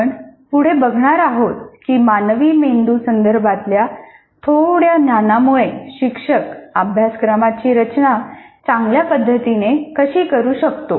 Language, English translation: Marathi, For example, we'll see in the following unit a little bit of understanding of the brain can help the teachers design the curriculum better